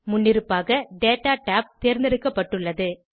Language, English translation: Tamil, By default, Data tab is selected